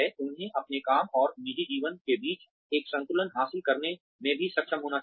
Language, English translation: Hindi, They also need to be, able to achieve a balance, between their work and personal lives